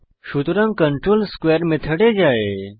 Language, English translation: Bengali, So the control jumps to the square method